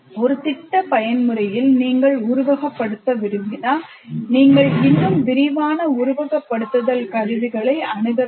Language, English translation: Tamil, In a project mode if you want, you have to have access to a bigger, more elaborate simulation tools